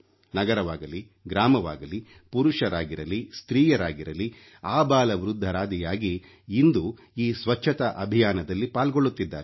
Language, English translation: Kannada, The old or the young, men or women, city or village everyone has become a part of this Cleanliness campaign now